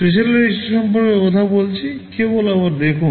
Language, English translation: Bengali, Talking about the special register, just a relook again